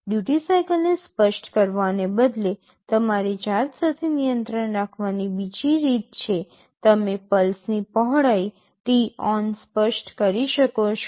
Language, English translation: Gujarati, Instead of specifying the duty cycle there is another way of having the control with yourself; you can specify the pulse width t on